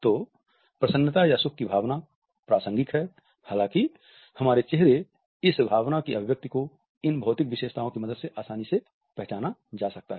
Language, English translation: Hindi, So, the emotion of happiness is contextual; however, the expression of this emotion on our face can be easily recognized with the help of these physical features